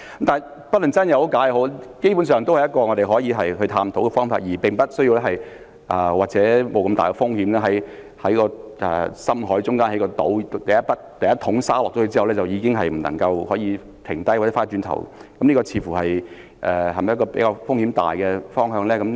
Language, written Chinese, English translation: Cantonese, 但不論真假，基本上也是我們可以探討的方法，而不需要冒如此大的風險，在深海中興建一個島，第一桶沙倒下後便不能停止或回頭，這是否風險較大的方向呢？, No matter whether Dr NG is serious about the proposal or not it is basically an option which we can explore instead of building an island in the middle of the deep sea which involves great risks and there is no turning back once the first bucket of sand is poured into the sea . Will the latter proposal involve a bigger risk?